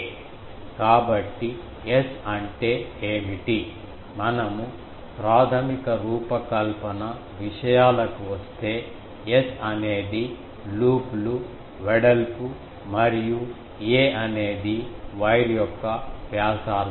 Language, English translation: Telugu, So, what is S; if we come to the basic design things, S is the loops width and a is the radius of the wire